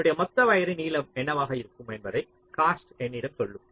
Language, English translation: Tamil, cost will tell me that what will be my total connecting wire length